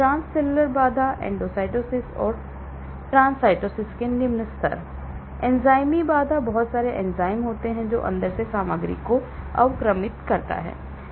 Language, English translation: Hindi, Transcellular barrier, low level of endocytosis and trancytosis, enzymatic barrier; there are a lot of enzymes which degrade material inside, coming in